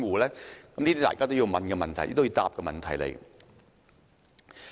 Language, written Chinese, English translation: Cantonese, 這些是大家都要提出及要求回答的問題。, These are questions we need to bring up and seek answers